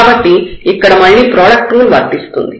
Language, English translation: Telugu, So, here again the product rule will be applicable